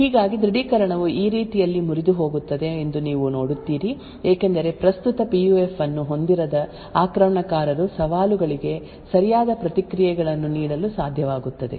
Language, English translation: Kannada, Thus you see that authentication will break in this way because the attacker without actually owning the current PUF would be able to provide the right responses for challenges